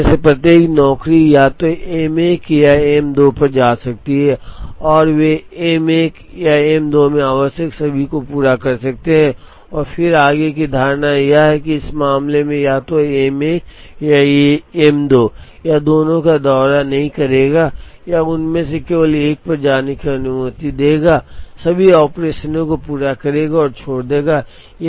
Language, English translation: Hindi, But, then each of these jobs can go to either M 1 or M 2 and they can complete all that is required in either M 1 or in M 2 and then the further assumption is that, in this case, it will go to either M 1 or M 2, it will not visit both, it will be allowed to go to only one of them, complete all the operations and leave